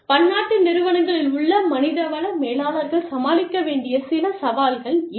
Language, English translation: Tamil, So, these are some of the challenges, that HR managers, in multi national enterprises, have to deal with